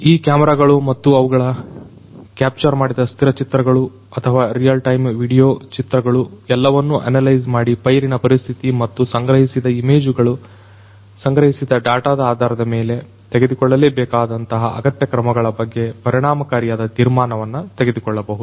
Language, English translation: Kannada, These cameras and the images that are captured either the static images or the real time video images, all of these could be analyzed and you know effective decision making about their the crop condition and that the requisite action that has to be taken based on these collected images the collected data could be made